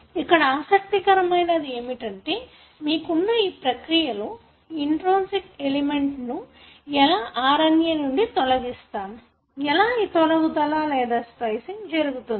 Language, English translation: Telugu, What is interesting is that, this process you have, how this intronic element which is normally removed in the RNA, how that particular removal or what you call as splicing takes place